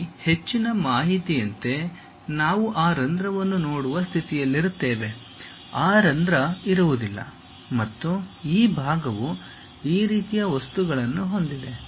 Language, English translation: Kannada, Here more information in the sense like, we will be in a position to really see that hole, that hole is not there and this portion have the same material as this